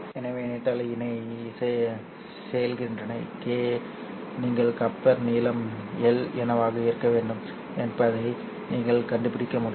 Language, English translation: Tamil, So given coupling coefficient, Kappa, you'll be able to find out what should be the coupler length L